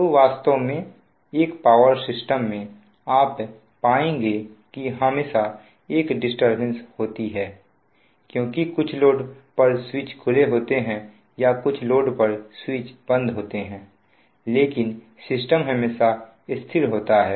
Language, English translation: Hindi, so actually in a power system you will find that there is always a disturbance because some loads are switch or switching on, some loads are switched off, but systems are always stable